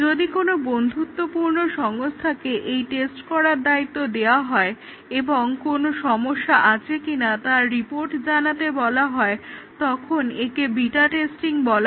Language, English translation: Bengali, And if the testing is done by a friendly organization, who are just asked to test and report if there are any problems that is called as the beta testing